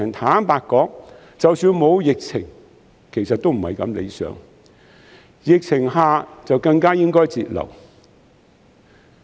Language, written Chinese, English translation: Cantonese, 坦白說，即使沒有疫情，這情況亦不太理想，在疫情之下，政府更應該節流。, Honestly even without the epidemic this situation would not be quite desirable . Now under the epidemic the Government should put more efforts in cutting expenditure